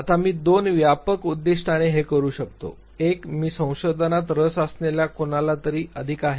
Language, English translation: Marathi, Now I can do this with two broad objectives, one – I am more of somebody who is interested into research